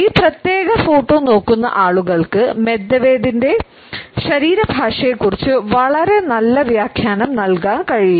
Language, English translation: Malayalam, You would find that people who look at this particular photograph would not be able to have a very positive interpretation of Medvedevs body language